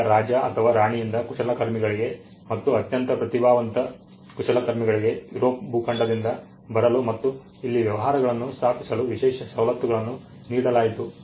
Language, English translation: Kannada, Now, exclusive privileges were granted by the king or the queen to enable craftsman very talented craftsman to come from continental Europe and to setup the businesses here